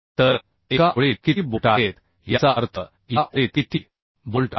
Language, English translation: Marathi, so this is what number of bolts in one line means